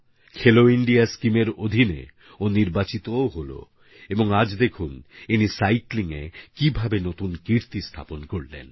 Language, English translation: Bengali, He was selected under the 'Khelo India' scheme and today you can witness for yourself that he has created a new record in cycling